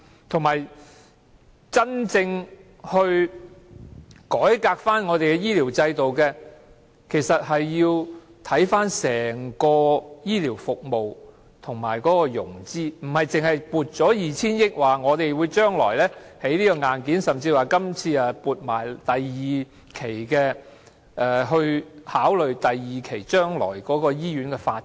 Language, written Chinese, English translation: Cantonese, 再者，要真正改革醫療制度，其實須看看整體醫療服務及融資，而不單是撥出 2,000 億元，說將來會興建硬件，甚至說今次的撥款已考慮到將來第二期的醫院發展......, Moreover to truly reform the health care system we must consider the overall health care services and financing instead of simply appropriating 200 billion and claiming that hardware will be built in the future or even that the appropriation this time has already taken into account the second phase of hospital development